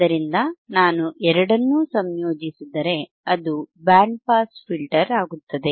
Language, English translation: Kannada, So, if I integrate both, it becomes a band pass filter,